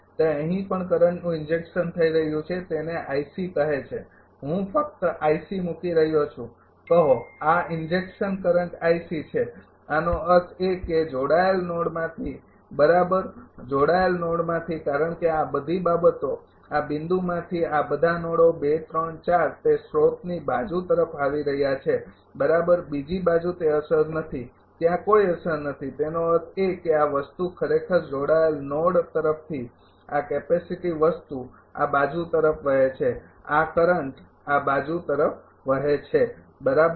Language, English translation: Gujarati, It is also injecting current here i C say I am just putting i C say this injecting current i C; that means, from the connected node right from the connected because all this things this 2 3 4 all this node from this point it is coming towards the source side right other side it is no effect is there no effect is; that means, this thing actually from connecting node this capacitive thing flowing to this side this current is flowing to this side right